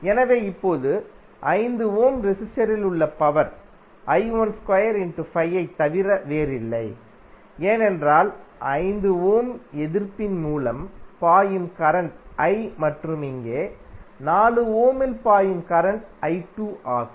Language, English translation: Tamil, So, now power in 5 ohm resistor is nothing but I 1 square into 5 because if you see the current flowing through 5 ohm resistance is simply I 1 and here for 4 ohm the power the current flowing is I 2